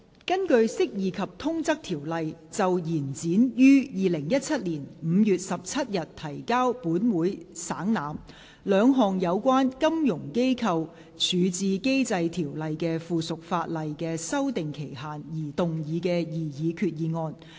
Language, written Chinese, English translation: Cantonese, 根據《釋義及通則條例》就延展於2017年5月17日提交本會省覽，兩項有關《金融機構條例》的附屬法例的修訂期限而動議的擬議決議案。, Proposed resolution under the Interpretation and General Clauses Ordinance to extend the period for amending the two items of subsidiary legislation in relation to the Financial Institutions Resolution Ordinance which were laid on the Table of this Council on 17 May 2017